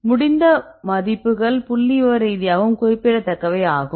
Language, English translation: Tamil, So, the values are also statistically significant